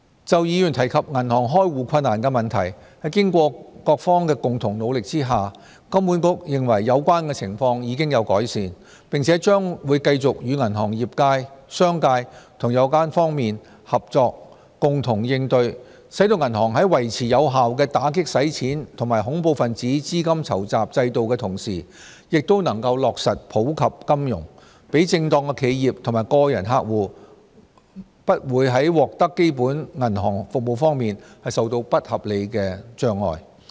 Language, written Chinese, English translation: Cantonese, 就議員提及銀行開戶困難的問題，在經過各方的共同努力下，金管局認為有關情況已有改善，並將會繼續與銀行業界、商界和有關各方合作，共同應對，使銀行在維持有效的打擊洗錢及恐怖分子資金籌集制度的同時，亦能夠落實普及金融，讓正當企業及個人客戶不會在獲得基本銀行服務方面受到不合理的阻礙。, Regarding the problem mentioned by Members that it is difficult to open bank accounts HKMA considers that the situation has improved through the joint efforts of various parties . HKMA will continue to collaborate with banks the commercial sector and other relevant parties to address the problem so that while banks can maintain their system of effectively combating money laundering and terrorist financing financial inclusion can also be achieved to provide law - abiding enterprises and individuals with access to basic banking services without any unreasonable hindrances